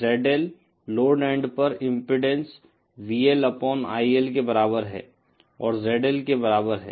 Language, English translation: Hindi, The ZL, the impedance at the load end is equal to VL upon IL and that is equal to ZL